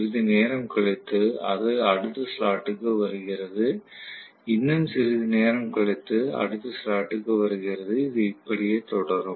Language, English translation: Tamil, After sometime, it is coming to the next slot, after some more time it comes to the next slot and so on and so forth